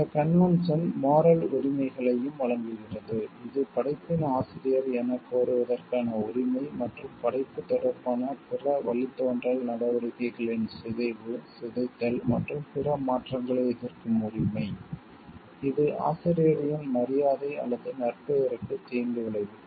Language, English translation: Tamil, The convention also provides for the moral rights, that is the right to claim authorship of the work and the right to object to any mutilation deformation and other modification of other derivative action in relation to the work, that would be prejudicial to the authors honour or reputation